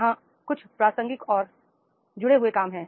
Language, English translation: Hindi, There are certain relevant and connected jobs are there